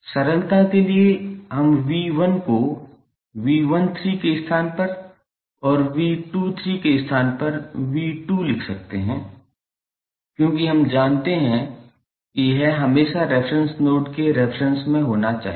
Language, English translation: Hindi, For simplicity we can write V 1 as in place of V 13 and V 2 in place of V 23 because we know that this is always be with reference to reference node